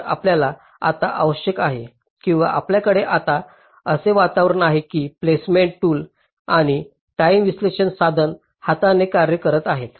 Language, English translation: Marathi, so you now require, or you now have, an environment where the placement tool and the timing analysis tool are working hand in hand